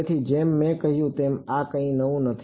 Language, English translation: Gujarati, So, like I said this is nothing new